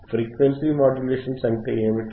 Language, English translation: Telugu, What are frequency modulations